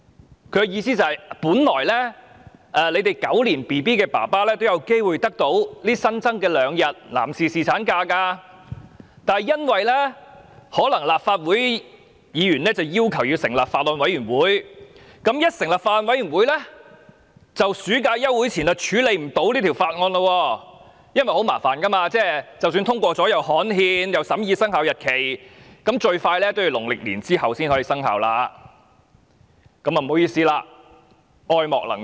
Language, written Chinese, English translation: Cantonese, 他的意思是：本來"狗年嬰兒"的父親有機會得到新增的兩天男士侍產假，但立法會議員要求成立法案委員會，一旦成立法案委員會，在暑假休會前便無法處理這項《條例草案》，因為程序非常繁複，即使通過了《條例草案》也要刊憲，亦要審議生效日期，最快也要農曆新年後才可生效；他表示不好意思，愛莫能助。, But Legislative Council Members asked to set up a Bills Committee and such being the case the deliberation of the Bill would be unable to finish before the summer recess because the procedures were very complicated . Even after the Bill was passed the implementing legislation had to be gazetted and the effective date also had to be discussed . It could only come into effect after Lunar New Year at the earliest